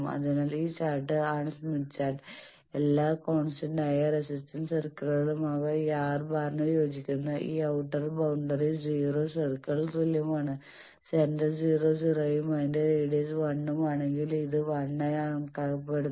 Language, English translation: Malayalam, So, this chart is smith chart you see that all constant resistance circles they are this and this outer boundary that is corresponding to the R bar is equal to 0 circle, if center is at 0 0 and its radius is 1 that means, from the center to the right most point this is considered as 1